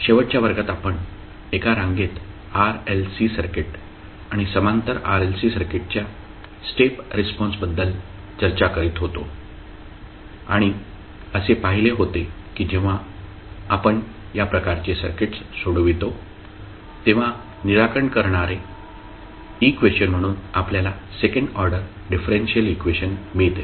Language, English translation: Marathi, So, in the last class we were discussing about the step response of series RLC circuit and the parallel RLC circuit and we saw that when we solve these type of circuits we get second order differential equation as a equation to solve